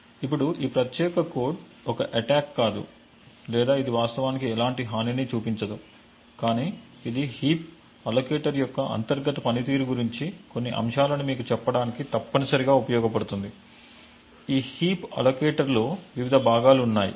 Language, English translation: Telugu, Now this particular code again it is not an attack or it does not actually show a vulnerability, but it is essentially used to tell you the some aspects about the internal workings of the heap allocator, there are various parts in this heap allocator